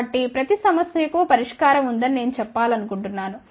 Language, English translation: Telugu, So, I just want to tell there is a solution to every problem